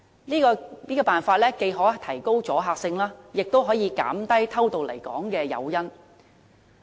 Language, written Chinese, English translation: Cantonese, 此舉既可提高阻嚇性，也可減低偷渡來港的誘因。, This move can increase the deterrence effect and reduce the incentive to enter Hong Kong illegally